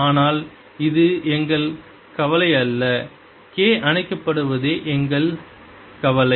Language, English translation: Tamil, our concern is that k is being switched off